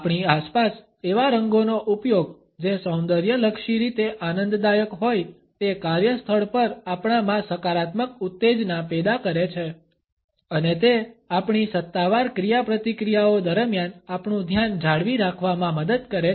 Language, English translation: Gujarati, The use of those colors which are aesthetically pleasing in our surrounding create a positive stimulation in us at the workplace and they help us in retaining our focus during our official interactions